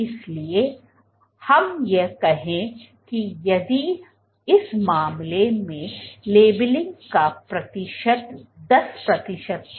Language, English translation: Hindi, So, let us say if in this case if the percentage of labelling was 10 percent